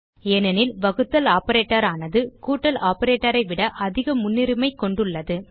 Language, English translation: Tamil, This is because the division operator has more precedence than the addition operator